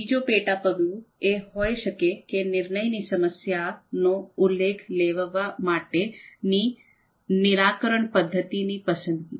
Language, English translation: Gujarati, Then the next sub step could be identifying the type of decision problem